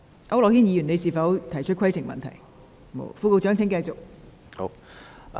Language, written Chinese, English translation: Cantonese, 區諾軒議員，你是否想提出規程問題?, Mr AU Nok - hin do you wish to raise a point of order?